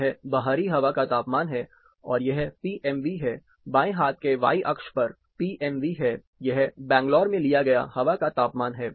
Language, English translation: Hindi, This is outdoor air temperature, and this is PMV, the left hand y axis is PMV, this is air temperature taken in Bangalore